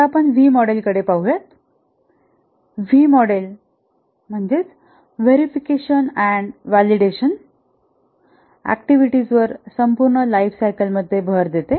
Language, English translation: Marathi, The V model emphasizes on the verification and validation activities throughout the lifecycle